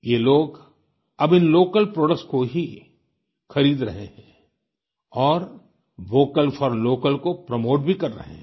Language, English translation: Hindi, These people are now buying only these local products, promoting "Vocal for Local"